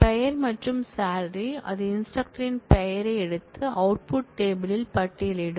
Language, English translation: Tamil, name and salary from that it will simply take the name of the instructor and list that in the output table